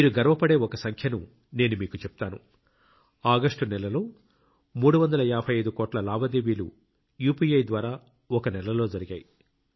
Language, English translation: Telugu, I will tell you a figure which will make you proud; during last August, 355 crore UPI transactions took place in one month, that is more than nearly 350 crore transactions, that is, we can say that during the month of August UPI was used for digital transactions more than 350 crore times